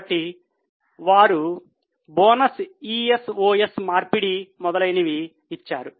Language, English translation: Telugu, So, they have given bonus is of conversion etc